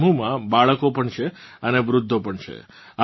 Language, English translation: Gujarati, There are children as well as the elderly in this group